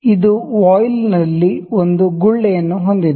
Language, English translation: Kannada, It has a bubble in the voile